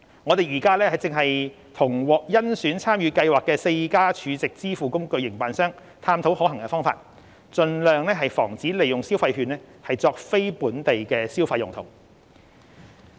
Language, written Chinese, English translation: Cantonese, 我們正與獲甄選參與計劃的4家儲值支付工具營辦商探討可行方法，盡量防止利用消費券作非本地消費用途。, We are discussing with operators of the four Stored Value Facilities SVF selected to participate in the Scheme on practical means to prevent the use of consumption vouchers on payments other than local consumption